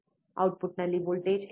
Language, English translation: Kannada, What is the voltage at the output